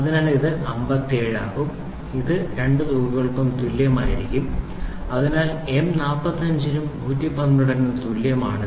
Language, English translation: Malayalam, So, it will be 57 this will be same this will be same for both the sums so, same for M 45 as well as M 112